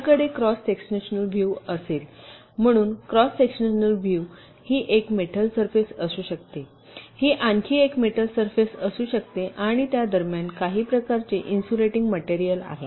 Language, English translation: Marathi, so if i have a cross sectional view, ok, so in a cross sectional view, this can be one metal surface, this can be another metal surface, ok, and there will be some kind of a insulating material in between